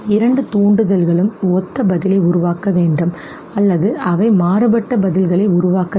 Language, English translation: Tamil, The two stimuli should produce similar response or are they supposed to produce dissimilar responses